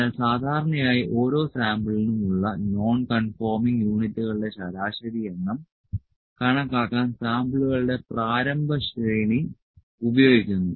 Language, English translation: Malayalam, So, typically an initial series of samples is used to estimate the average number of non conforming units per sample